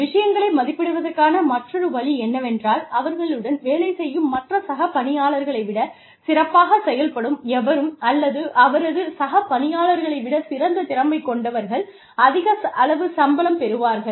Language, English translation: Tamil, The other way of assessing things is, anyone, who performs better than, his or her peers, or, who has a better skill set, than his or her peers, will get a higher salary